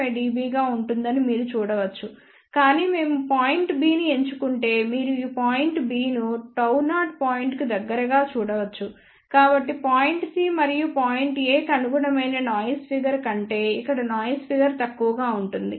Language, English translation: Telugu, 5 dB, but if we choose point B you can see this point B is closer to gamma 0 point so that means, noise figure here will be lower than noise figure corresponding to point C and point A